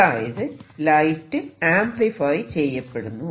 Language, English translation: Malayalam, And so therefore, light gets amplified